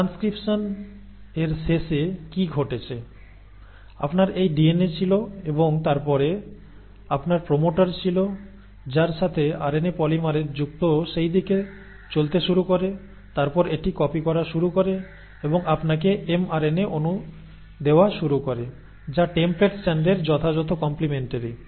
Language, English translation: Bengali, So what has happened by the end of transcription, so you had this DNA, and then you had the promoter, to which the RNA polymerase is bound started moving in that direction and then it starts copying and starts giving you an mRNA molecule which is the exact complimentary to the template strand